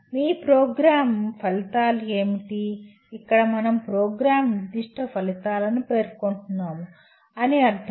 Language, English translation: Telugu, Okay, what are your Program Outcomes, here we mean Program Specific Outcomes